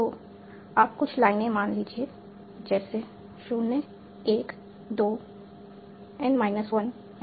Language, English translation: Hindi, So, we'll assume some lines like 0, 1, 2, n minus 1